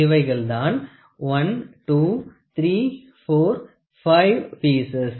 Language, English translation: Tamil, These are the pieces 1, 2, 3, 4, 5 these are the pieces